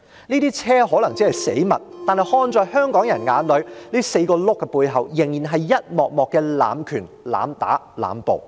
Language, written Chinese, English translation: Cantonese, 這些車可能只是死物，但看在香港人眼裏 ，4 個車輪的背後是一幕幕濫權、濫打、濫捕。, Perhaps those vehicles are just objects . But in the eyes of Hongkongers the four wheels epitomize episodes of abuse of power abuse of force and indiscriminate arrests